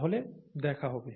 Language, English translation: Bengali, See you then